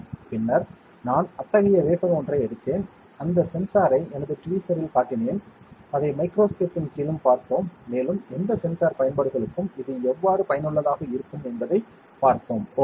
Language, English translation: Tamil, Then I took out one such wafer one such sensor, I showed you that sensor in my tweezer, and we looked at it under the microscope also, and saw how the functionally it might be useful for any sensing applications, ok